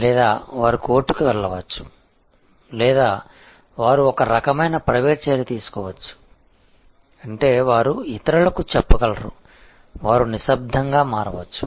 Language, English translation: Telugu, Or, they can go to court or they can take some kind of private action, which is that, they can tell others, they can just quietly switch